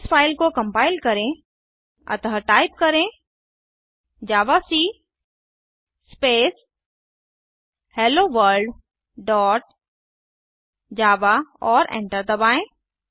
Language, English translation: Hindi, Lets compile this file so type javac Space HelloWorld dot java and hit enter This compile the file that we have created